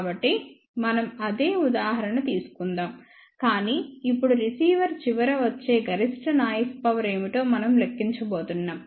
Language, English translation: Telugu, So, let us take the same example, but now we are going to calculate what is the maximum noise power coming to the receiver end